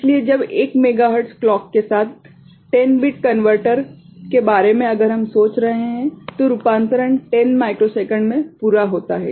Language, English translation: Hindi, So, when 10 bit converter with 1 megahertz clock, if we are thinking about then the conversion is completed in to 10 microsecond ok